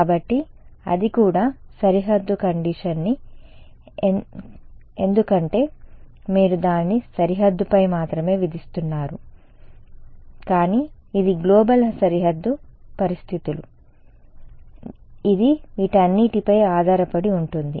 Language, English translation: Telugu, So, that is also boundary condition because you are imposing it only on the boundary, but that is the global boundary conditions it depends on all of these right